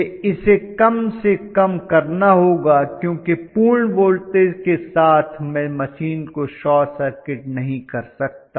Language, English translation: Hindi, I will have to bring it to a minimum because with full voltage I would not like to short circuit the machine